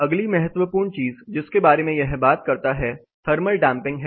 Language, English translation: Hindi, The next important thing it talks about is something called thermal damping